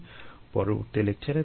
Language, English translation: Bengali, see you in the next lecture